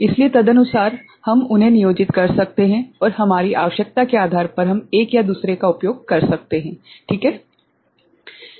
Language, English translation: Hindi, So, accordingly we can employ them and depending on our requirement, we can use one or the other ok